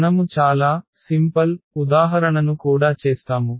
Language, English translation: Telugu, We will be doing very simple example also